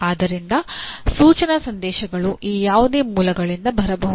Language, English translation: Kannada, So the instructional messages can come from any of these sources